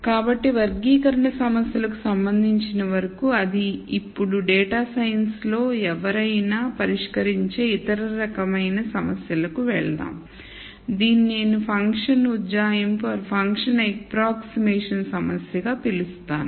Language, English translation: Telugu, So, that is as far as classification problems are concerned, now let us move on to the other type of problem that one solves in data science this is what I would call as function approximation problem